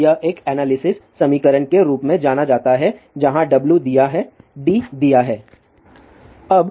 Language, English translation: Hindi, Now this is known as a analysis equation where W is given d is given